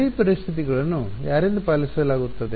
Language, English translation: Kannada, boundary conditions are obeyed by whom